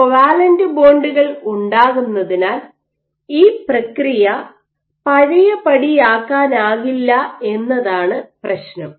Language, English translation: Malayalam, The problem is this process is not reversible because covalent bonds are made